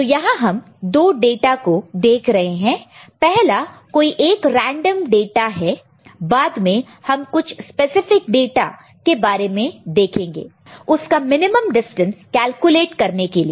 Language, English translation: Hindi, And there we look at two data: one is some random data we are talking about, later we shall look at some specific data to find out some minimum distance or so, ok